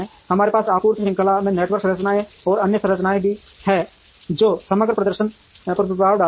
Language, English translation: Hindi, We have network structures and other structures in supply chain which will have an impact on the overall performance